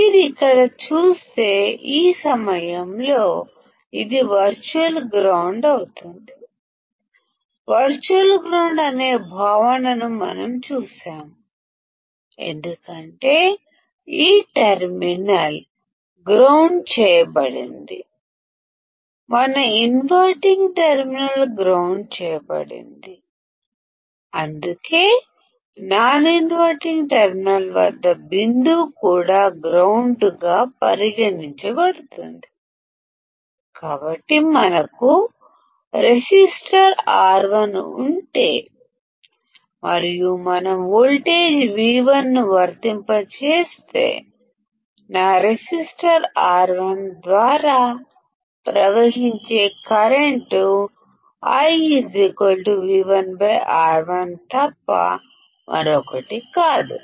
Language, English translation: Telugu, If you see here; at this point it will be virtual ground; we have seen the concept of virtual ground because this terminal is grounded, our inverting terminal is grounded that is why the point at the non inverting terminal will also be considered as grounded; So, if we have a resistor R1; and if we apply a voltage V1 then the current flowing through my resistor R1 would be nothing but current I equal to V1 by R1